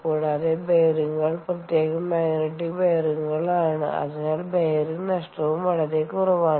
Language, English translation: Malayalam, also, the bearings are special, typically magnetic ah bearings, so that the bearing losses are also minimal